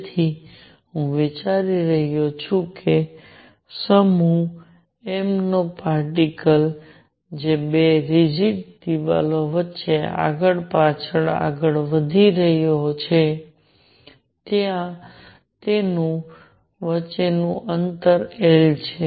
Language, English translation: Gujarati, So, problem I am considering is that the particle of mass m that is moving back and forth between two rigid walls, where the distance between them is L